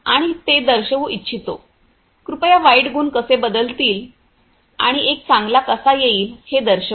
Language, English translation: Marathi, And would like to show it; please show the how bad qualities will getting changed and coming up with a good one